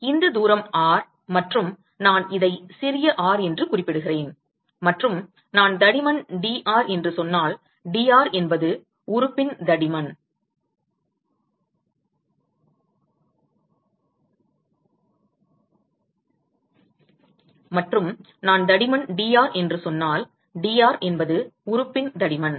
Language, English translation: Tamil, So, if this distance is R and I refer this as small r and if I say that the thickness is dr; dr is the thickness of the element